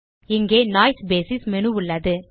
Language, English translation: Tamil, Here is the Noise basis menu